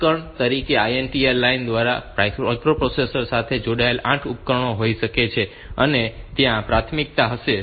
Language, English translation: Gujarati, For example there may be say 8 devices connected with the microprocessor through the INT line and there will be priority